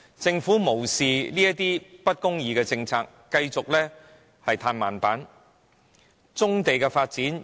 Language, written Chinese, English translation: Cantonese, 政府無視這些政策的不公義之處，繼續對棕地的發展"歎慢板"。, The Government has disregarded such unfair policies and continues to stall the development of brownfield sites